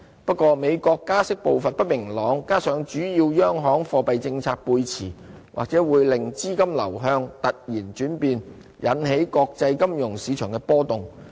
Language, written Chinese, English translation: Cantonese, 不過，美國加息步伐不明朗，加上主要央行貨幣政策背馳，或會令資金流向突然轉變，引起國際金融市場波動。, That said the uncertain pace of interest rate hike in the United States and the divergence in monetary policies among major central banks may lead to sudden changes in fund flows causing volatility in global financial markets